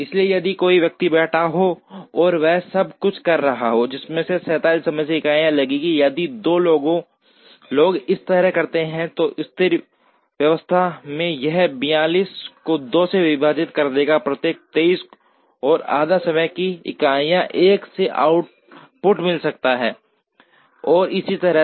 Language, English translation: Hindi, So, if one person is sitting and doing everything it would take 47 time units, if two people do it, then at steady state it will be 47 divided by 2, every 23 and a half time units 1 could get an output and so on